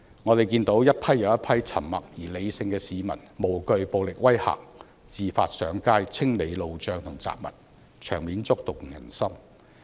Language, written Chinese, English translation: Cantonese, 我們看到一批又一批沉默而理性的市民，無懼暴力威嚇，自發上街清理路障和雜物，場面觸動人心。, We saw groups after groups of silent but sensible people unafraid of threats of violence remove barricades and debris from the roads out of their own will . These scenes were touching